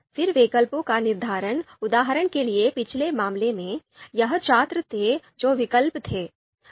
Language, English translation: Hindi, Determining alternatives, for example in previous case, it was students were the alternatives